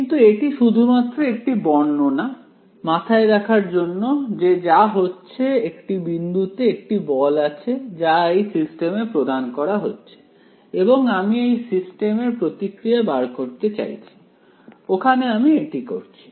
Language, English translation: Bengali, But its just a representation to keep in your mind that what is happening as one point there is a force being applied to this system and I want to find out the response of the system that is what we will doing over here